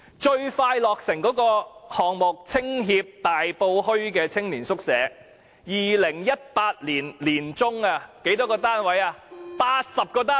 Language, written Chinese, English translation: Cantonese, 最快落成的項目，是香港青年協會的大埔墟青年宿舍，在2018年年中落成，僅提供80個單位。, The project to be completed at the earliest is the youth hostel of the Hong Kong Federation of Youth Groups in Tai Po Market which will be completed in mid - 2018 with only 80 units